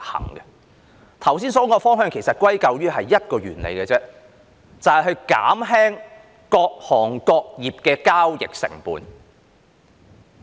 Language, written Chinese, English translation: Cantonese, 我剛才說的方向歸究下來其實只是一個原理，就是減輕各行各業的交易成本。, The direction mentioned by me just now actually boils down to one principle that is to reduce the transaction costs in various trades and industries